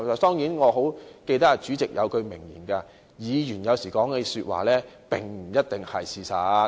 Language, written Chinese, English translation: Cantonese, 當然，我記得主席有一句名言：議員有時說的話，並不一定是事實。, Of course I do remember the wise saying of the President Members may not always be telling the truth when they speak